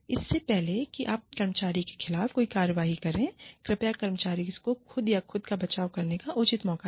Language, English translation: Hindi, Before you take any action, against the employee, please give the employee a fair chance, to defend himself or herself